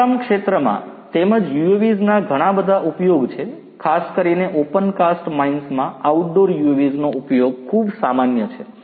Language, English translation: Gujarati, In the mining sector as well there are lots of use of UAVs particularly in opencast mines use of outdoor UAVs is very common